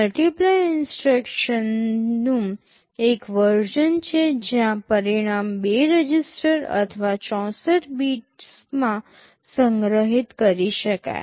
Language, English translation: Gujarati, There is a version of multiply instruction where the result can be stored in two registers or 64 bits